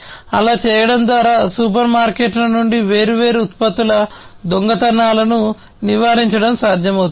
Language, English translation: Telugu, And by doing so it is possible to avoid theft of different products from the supermarkets and so on